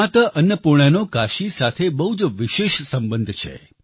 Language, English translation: Gujarati, Mata Annapoorna has a very special relationship with Kashi